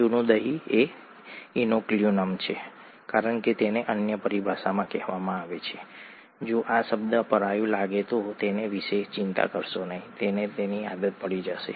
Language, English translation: Gujarati, Old curd is the inoculum, as it is called in other term; don’t worry about it if this term seems alien, you will get used to it